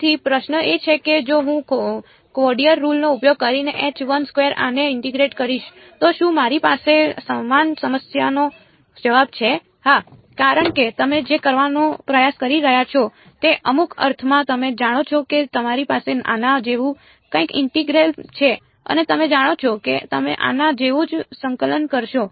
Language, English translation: Gujarati, So, the question is that if I integrate this H 1 2 using a quadrature rule will I have the same problem answer is yes because what you are trying to do is in some sense you know you have some integral like this and you know that you will take the value of the function at some finite number of points